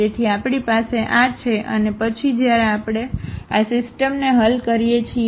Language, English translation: Gujarati, So, we have this and then when we solve this system